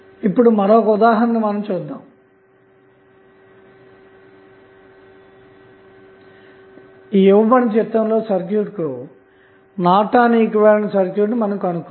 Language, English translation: Telugu, So, now let us see another example where you need to find out the Norton's equivalent for the circuit given in the figure